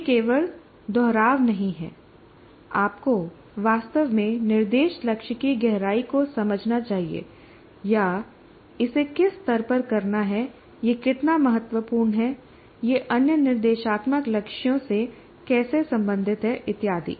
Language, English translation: Hindi, He must really understand the depth of the instruction goal or the at what level it has to be done, how important it is, how it is related to other instructional goals and so on